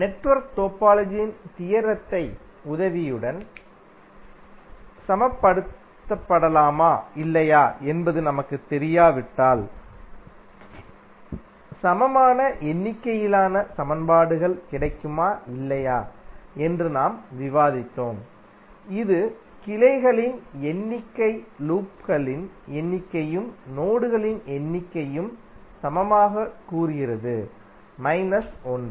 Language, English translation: Tamil, We also discussed that suppose if we do not know whether we have got equal means the required number of equations or not that can be stabilized with the help of theorem of network topology which says that number of branches equal to number of loops plus number of nodes minus 1